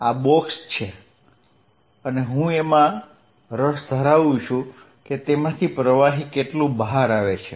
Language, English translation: Gujarati, This is the box and I am interested in what fluid is going out